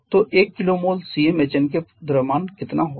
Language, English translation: Hindi, So, one kilo mole of Cm Hn how much will be the mass